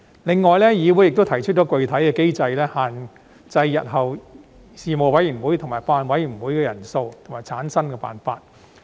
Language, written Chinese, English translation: Cantonese, 另外，議會亦提出了具體的機制，限制日後事務委員會及法案委員會的人數及產生辦法。, Moreover this Council has also proposed a specific mechanism to impose restrictions on the number of members of Panels and Bills Committees and also the method of their formation in the future